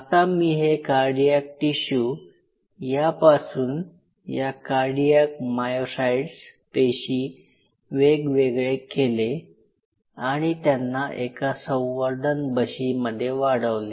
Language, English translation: Marathi, Now I take this tissue cardiac tissue dissociate them into cardiac myocytes and allow them to grow in a dish